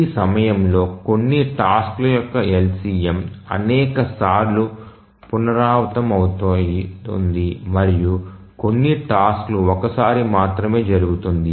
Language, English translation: Telugu, During this LCM, some tasks may repeat multiple number of times and some tasks may just occur only once